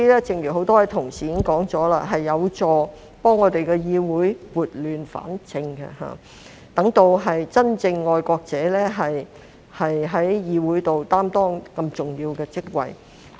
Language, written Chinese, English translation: Cantonese, 正如很多同事提及，這樣有助議會撥亂反正，讓真正的愛國者在議會內擔當重要的職位。, As many colleagues have mentioned this will help get this Council back on the right track so that the genuine patriots can take up important positions in the legislature